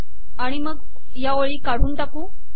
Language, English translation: Marathi, And then we will delete these lines